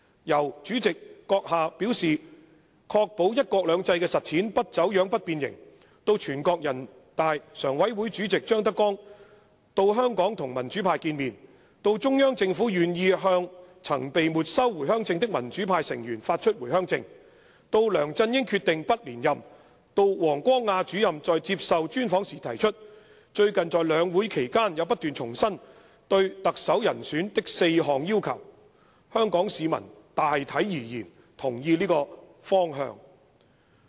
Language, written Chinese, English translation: Cantonese, 由閣下表示'確保"一國兩制"的實踐不走樣、不變形'，到全國人民代表大會常務委員會委員長張德江到香港與民主派見面，到中央政府願意向曾被沒收回鄉證的民主派成員發出回鄉證，到梁振英決定不連任，到王光亞主任在接受專訪時提出，最近在兩會期間也不斷重申對特首人選的4項要求，香港市民大體而言同意這個方向。, From your promise to ensure that the implementation of one country two systems would not be distorted and twisted to ZHANG Dejiang the Chairman of the Standing Committee of the National Peoples Congress NPC coming to Hong Kong to meet with the democrats to the Central Governments willingness to re - issue Home Visit Permits to democrats whose Permits have been forfeited to LEUNG Chun - yings decision not to seek re - election and then to Director WANG Guangyas laying out of the four basic criteria for the candidate for the next Chief Executive in an interview and the repeated reiteration of such criteria during the sessions of NPC and the Chinese Peoples Political Consultative Conference recently these are the directions that people of Hong Kong generally agree . Hong Kong Society has been unusually calm and peaceful in recent days